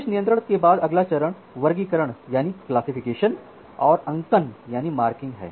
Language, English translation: Hindi, After the admission control is done then the next step is classification and marking